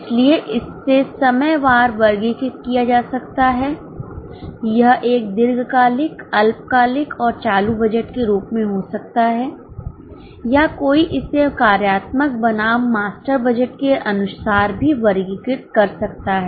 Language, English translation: Hindi, So, time wise, one may categorize it as a long term, short term and current budget, or one can also categorize it as for the functional versus master's budget